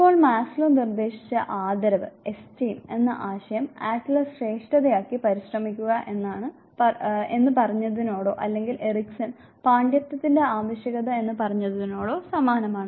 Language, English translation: Malayalam, Now the concept of esteem that was proposed by Maslow is similar to what Adler said as striving for superiority or what Erekson said as need for mastery there is a resemblance